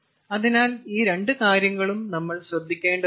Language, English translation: Malayalam, so both this thing we have to take care of